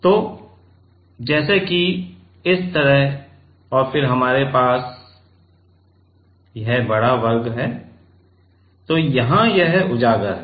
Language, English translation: Hindi, So, let us say like this and then we have big square, so here it is exposed ok